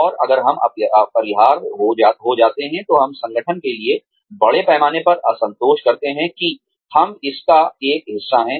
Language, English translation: Hindi, And, if we become indispensable, we end up doing a massive disservice to the organization, that we are a part of